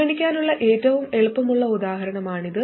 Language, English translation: Malayalam, This is the easiest example to consider